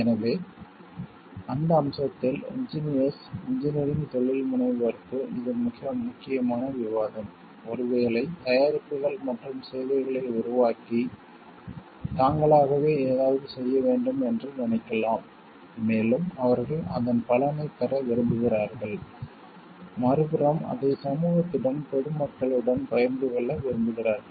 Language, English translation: Tamil, So, in that aspect; this is a very very important discussion to the like engineers engineering entrepreneurs maybe who are developing products and services and thinking of doing something on their own and want that like they like get the benefit of it also and also on other hand share it like with the society and public at large